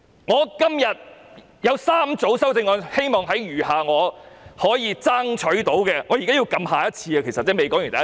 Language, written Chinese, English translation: Cantonese, 我今天提出3組修正案，希望在餘下我能爭取到的發言時間裏解釋。, I propose three groups of amendments today and wish to explain them in the remaining speaking time I can hopefully strive for